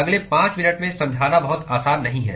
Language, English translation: Hindi, It is not very easy to explain in the next 5 minutes